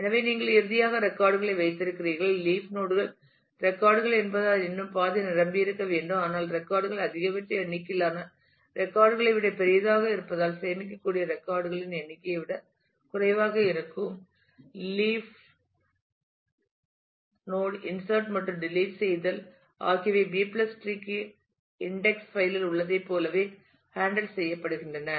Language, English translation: Tamil, So, you finally, have the records there and the leaf nodes are still required to be half full since they are records, but since records are larger than the maximum number of records that can be stored would be less than the number of pointers in a non leaf node insertion and deletions are handled in the same way as in the B + tree index file